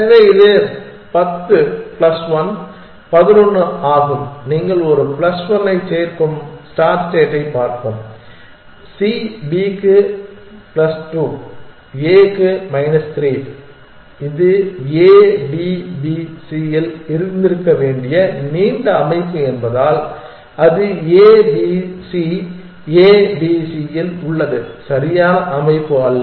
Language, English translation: Tamil, So, this is 10 plus 1, 11, let us look at the start state you will add a plus 1 for c plus 2 for b minus 3 for a because it is a long structure it should have been on A D B C, it is on a b c a b c is not a correct structure